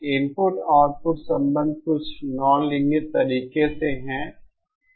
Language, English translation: Hindi, The input output relationship is of some non linear way